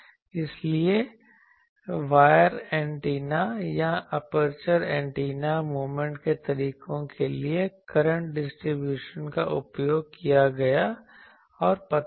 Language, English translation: Hindi, So, current distribution both the for wire antennas or aperture antennas moment methods were used and found out